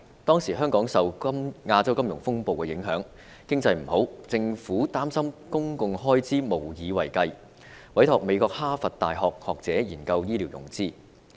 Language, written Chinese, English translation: Cantonese, 當時香港受亞洲金融風暴影響，經濟不景，政府擔心公共開支無以為繼，因而委託美國哈佛大學學者研究醫療融資。, Hong Kong experienced an economic downturn in the wake of the Asian financial turmoil and the Government was worried about the sustainability of public expenditure . The Government thus commissioned scholars from Harvard University in the United States to study health care financing